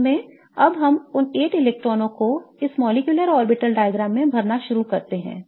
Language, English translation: Hindi, In fact now let us start filling those 8 electrons into this molecular orbital diagram